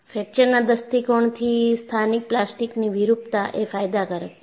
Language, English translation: Gujarati, From fracture point of view, the local plastic deformation is beneficial